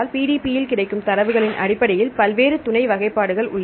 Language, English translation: Tamil, Based on the data available in PDB there various sub classifications